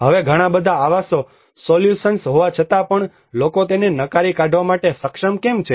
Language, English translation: Gujarati, Now despite of having so many housing solutions but why people are able to reject it